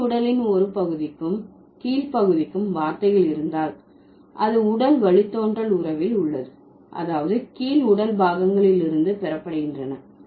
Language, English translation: Tamil, If words for a part of the upper body and a part of the lower are in a derivational relationship, the upper body term is the base